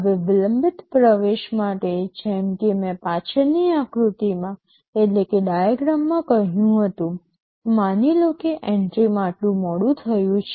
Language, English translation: Gujarati, Now, for delayed entry as I had said in the previous diagram, suppose there is a delay in the entry by this much